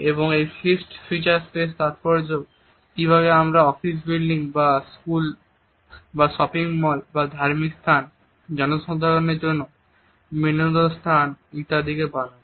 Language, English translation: Bengali, And the fixed feature space is significant in the way we construct office buildings or a schools or the shopping malls the religious places, places of public entertainment etcetera